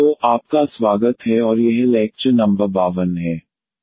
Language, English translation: Hindi, So, welcome back and this is lecture number 52